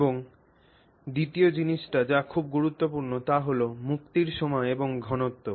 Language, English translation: Bengali, And the second thing which is also very important is the timing and concentration of the release